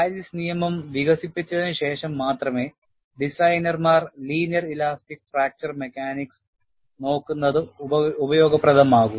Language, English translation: Malayalam, Only after Paris law was developed, designers really looked at, linear elastic fracture mechanics is useful